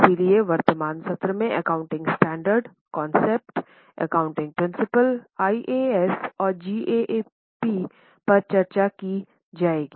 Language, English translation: Hindi, Today we are going to discuss about very important concept of accounting principles, accounting standards, IAS GAAP and so on